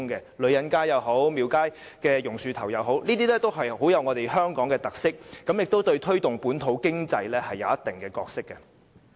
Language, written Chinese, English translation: Cantonese, 無論女人街也好、廟街也好、榕樹頭也好，它們也富有香港特色，亦在推動本土經濟上擔當一定角色。, The Ladies Market Temple Street and the Banyan tree display the characteristics of Hong Kong and they play a certain role in promoting the development of the local economy